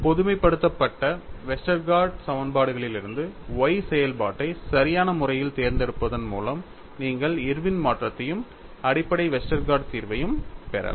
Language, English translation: Tamil, From the generalized Westergaard equations, by appropriately choosing the function y, you could get Irwin’s modification as far as the basic Westergaard solution